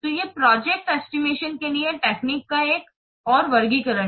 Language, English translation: Hindi, So these are another classifications of techniques for project estimation